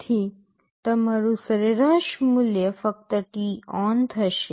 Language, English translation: Gujarati, So, your average value will be only t on